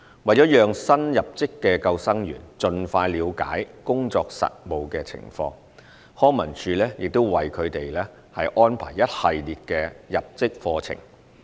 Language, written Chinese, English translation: Cantonese, 為了讓新入職的救生員盡快了解工作實務情況，康文署亦會為他們安排一系列的入職課程。, To enable the new recruits to gain an understanding of lifesaving practice as soon as possible LCSD provides them with a series of induction programmes . The department has reviewed the induction programme for lifeguards